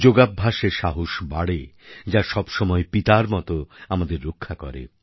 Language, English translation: Bengali, The practice of yoga leads to building up of courage, which always protects us like a father